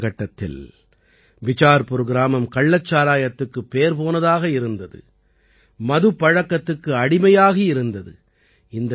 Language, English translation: Tamil, During that time, Bicharpur village was infamous for illicit liquor,… it was in the grip of intoxication